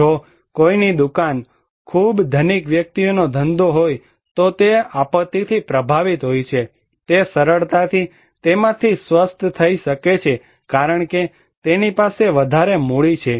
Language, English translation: Gujarati, If someone's shop, a very rich person has a business, it is affected by disaster, he can easily recover from that because he has greater capital